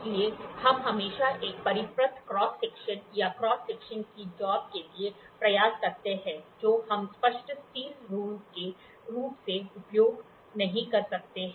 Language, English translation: Hindi, So, there we always try to for typically for a circular cross section or cross section jobs we cannot use as clear steel ruler